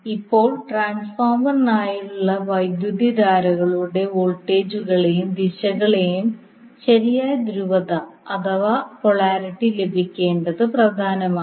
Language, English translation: Malayalam, So now it is important to get the proper polarity of the voltages and directions of the currents for the transformer